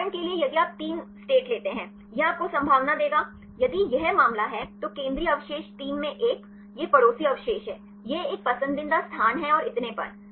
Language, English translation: Hindi, For example if you take 3 states; it will give you the probability; if this is the case, central residues 3; 1 in; these are the neighboring residues; this is the preferred a residues and so on